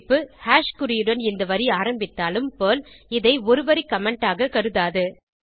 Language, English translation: Tamil, Note: Though this line starts with hash symbol, it will not be considered as a single line comment by Perl